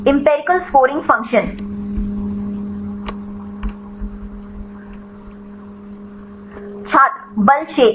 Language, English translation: Hindi, Empirical scoring function Force field